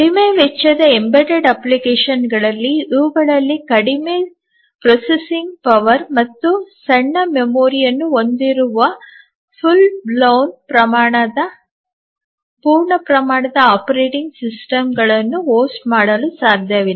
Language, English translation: Kannada, So, as we mentioned that these are used in low cost embedded applications having very less processing power and very small memory which cannot host, host full blown, full flaced operating systems